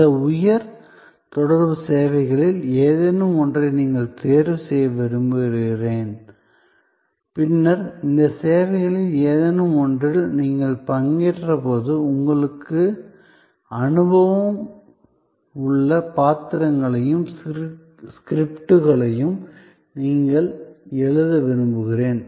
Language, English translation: Tamil, I would like you to choose any one of this high contact services and then, I would like you to write the roles and the scripts, that you have experience when you have participated in any one of this services